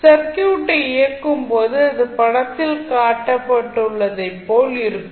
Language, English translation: Tamil, When you switch on the circuit it will be the circuit like shown in the figure